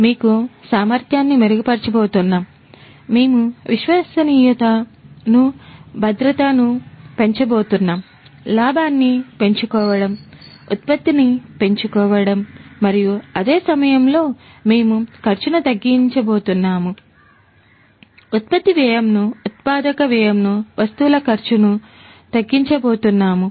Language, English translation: Telugu, We are going to improve efficiency; we are going to increase the reliability, safety, security; maximize the profit, maximize production and at the same time, we are going to slash the cost; the cost of production, the cost of manufacturing, the cost of the goods in turn